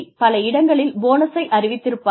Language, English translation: Tamil, In many places, have been used to declare bonuses